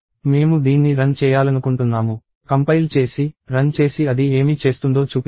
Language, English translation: Telugu, I want to run it, compile it, run it and show what it does